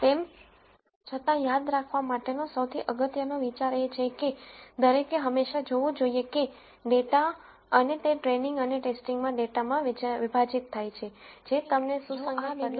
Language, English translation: Gujarati, Nonetheless the most important idea to remember is that one should always look at data and partition the data into training and testing so that you get results that are consistent